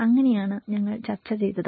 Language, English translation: Malayalam, So, this is all have been discussed